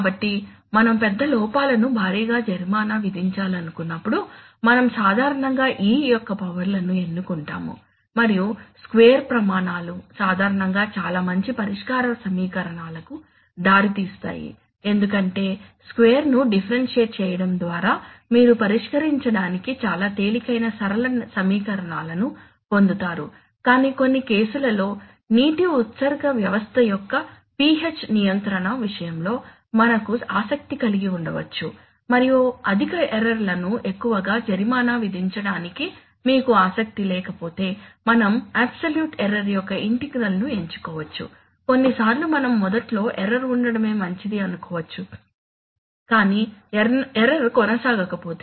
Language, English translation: Telugu, So when we want to heavily penalize large errors, we generally choose powers of E and square is chosen because the square criteria generally leads to very you know nice solution equations because by differentiating square, you get linear equations which are very easy to solve but in some cases as we shall as, we have seen that in the case of the PH control of the water discharge system, we may be interested in and if you are not interested in, not interested in penalizing high errors too much then we may choose integral of absolute error, sometimes we may like that fine let there be error initially but let the error not persist